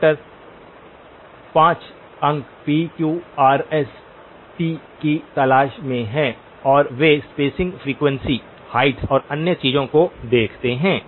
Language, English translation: Hindi, The doctors are looking for 5 points, p, q, r, s, t and they look at spacing frequency, the heights and other things